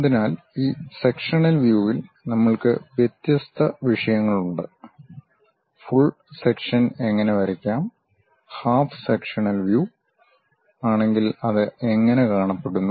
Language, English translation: Malayalam, So, in these sectional views, we have different topics namely: how to draw full sections, if it is a half sectional view how it looks like